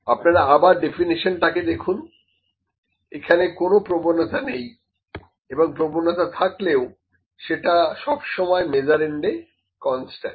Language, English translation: Bengali, You see the definition again; it has no bias, or if it is bias is constant in the measurand